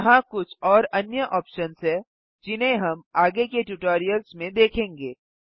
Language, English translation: Hindi, There are few other options here, which we will cover in the later tutorials